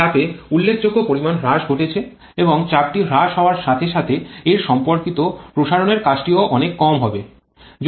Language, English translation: Bengali, There is a significant reduction in pressure and as the pressure is reduced so the corresponding expansion work also will be much smaller